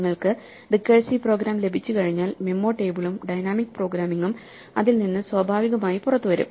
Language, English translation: Malayalam, Once you have the recursive program then the memo table and the dynamic programming almost comes out automatically from that